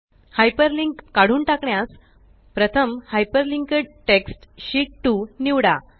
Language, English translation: Marathi, To remove the hyperlink, first select the hyperlinked text Sheet 2